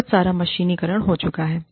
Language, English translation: Hindi, A lot of mechanization, has taken place